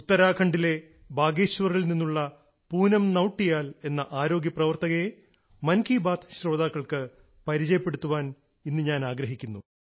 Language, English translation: Malayalam, Today in Mann ki Baat, I want to introduce to the listeners, one such healthcare worker, Poonam Nautiyal ji from Bageshwar in Uttarakhand